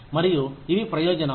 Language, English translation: Telugu, And which are the benefits